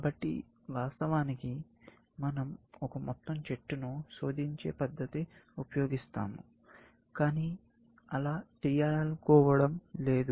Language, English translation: Telugu, So, we will use, of course, one thing is to search the entire tree, but we do not want to do that